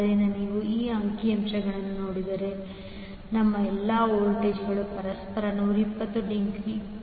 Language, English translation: Kannada, So, if you see this particular figure, all our voltages are 120 degree from each other